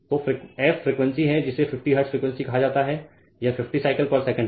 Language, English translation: Hindi, So, f is the frequency that is your say frequency 50 hertz means; it is 50 cycles per second right